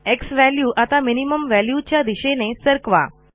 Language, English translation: Marathi, Lets move the xValue towards minimum value